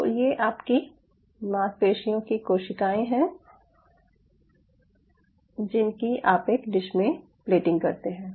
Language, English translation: Hindi, so so these are your muscle cells you are plating in a dish